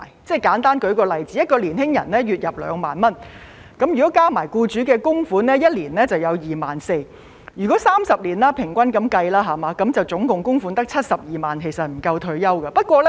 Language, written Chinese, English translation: Cantonese, 我簡單舉個例子，一名年輕人月入2萬元，加上僱主的供款，一年便有 24,000 元，以30年平均計算，合共供款只有72萬元，是不夠退休的。, Let me give a simple example . A young man with a monthly income of 20,000 can accumulate a total annual contribution of 24,000 including the employers contribution . After 30 years in average the total contribution amount will be 720,000 only which is not enough for retirement